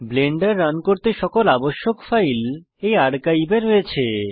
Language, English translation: Bengali, This archive contains all files required to run Blender